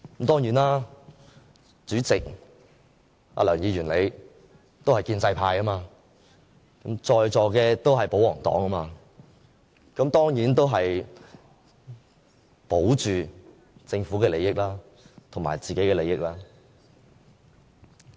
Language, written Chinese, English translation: Cantonese, 當然，主席梁議員你也是建制派，在座的都是保皇黨，當然要保着政府的利益和自己的利益。, Of course the pro - establishment President Mr LEUNG and all other pro - Government Members in this Chamber have to take care of the interests of the Government as well as their own interests